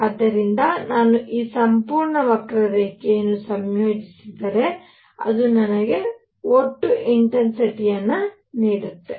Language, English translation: Kannada, So, if I integrate over this entire curve it gives me the total intensity